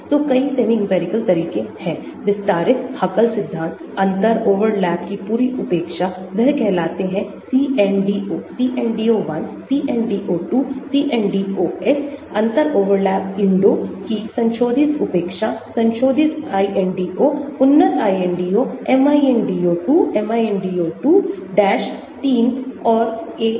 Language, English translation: Hindi, So, there are many semi empirical methods, extended Huckel theory, complete neglect of differential overlap, they are called CNDO, CNDO1, CNDO2, CNDOS, intermediate neglect of differential overlap INDO, modified INDO, enhanced INDO; MINDO 2, MINDO 2 dash, 3, AMPAC